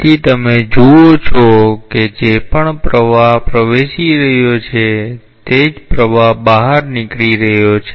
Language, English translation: Gujarati, So, you see that whatever flow is entering the same flow is leaving